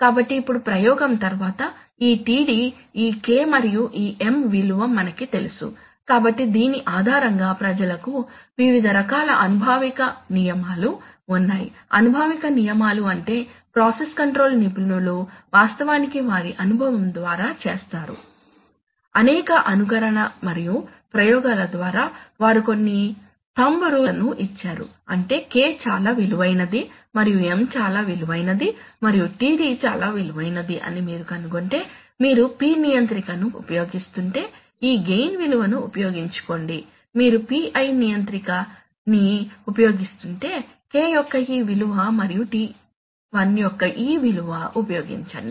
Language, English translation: Telugu, So now after the experiment you know this td you know this K and you know this M, so now, you, then based on this, people have various kinds of empirical rules, empirical rules means process control experts have actually done through their experience, by many simulation and experiments, actual experiments they have given some thumb rules that if you find that K is of so much value and M is of so much value and td is of so much value then use, if you are using a P controller use this value of gain, if you are using a PI controller use this value of K and this value of TI